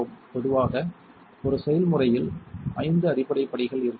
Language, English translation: Tamil, In general a recipe should have five basic steps